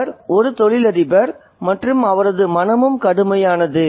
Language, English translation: Tamil, He is a businessman and his mind is torrid as well